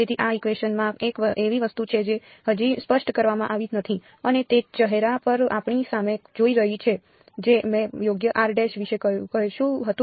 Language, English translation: Gujarati, So, in these equation there is one thing that is yet not been specified and that is staring at us in the face which is I did not say anything about r prime right